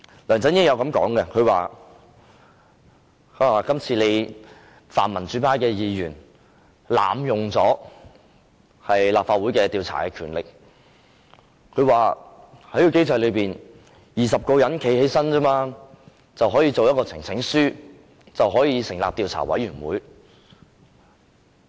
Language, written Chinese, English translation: Cantonese, 梁振英曾經說，泛民主派的議員濫用立法會調查的權力，在現行機制下，由20位議員站起來提交一份呈請書，便可成立專責委員會。, LEUNG Chun - ying has said that the pan - democratic Members have abused the power of investigation of the Legislative Council because under the existing mechanism when 20 Members stand up to submit a petition a select committee can be formed